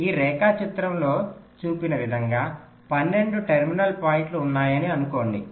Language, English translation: Telugu, now assume that there are twelve terminal points, as shown in this diagram